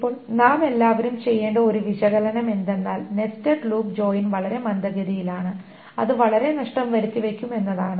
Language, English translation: Malayalam, Now one analysis that all of us should be doing is that the nested loop join is extremely slow and it's very much wasteful